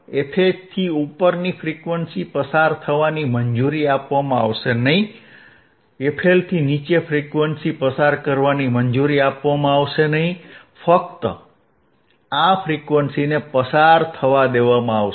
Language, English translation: Gujarati, Frequency above thisfH will not be past 3 dB, not allowed to be pass, frequency below thisfL will not be allowed to be passed, only this frequency will be allowed to pass